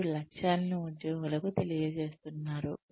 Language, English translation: Telugu, You are communicating the aims to the employees